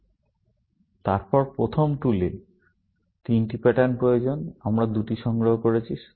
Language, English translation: Bengali, Our first tool needs three patterns; we have collected two